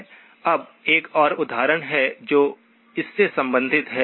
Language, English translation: Hindi, Now there is one more example that is related to this